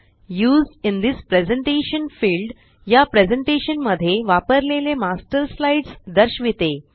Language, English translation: Marathi, The Used in This Presentation field displays the Master slides used in this presentation